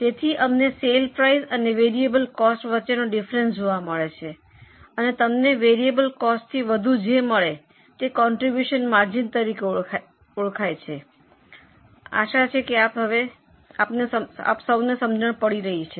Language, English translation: Gujarati, So, we find difference between sale price and variable cost and what extra you earn, extra over variable cost is known as a contribution margin